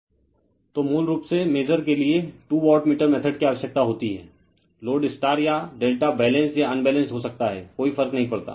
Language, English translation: Hindi, So, basically you need two wattmeter method for measuring the, load maybe star or delta Balanced or , Unbalanced does not matter